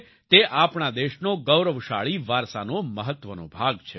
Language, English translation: Gujarati, It is an important part of the glorious heritage of our country